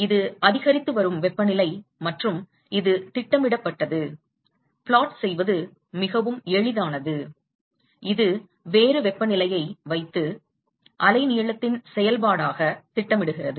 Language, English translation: Tamil, This is as increasing temperature and this has been plotted for, it is very easy to plot, this just put a different temperature and plot it as a function of the wavelength